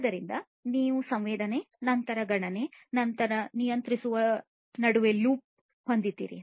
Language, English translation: Kannada, So, you have a loop between sensing then computation and then control